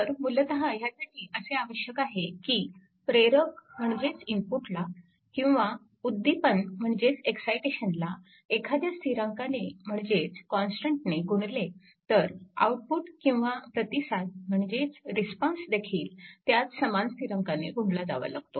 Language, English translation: Marathi, So, basically it requires that if the input that is called the excitation is multiplied by the constant, then the output it is called the response is multiplied by the same constant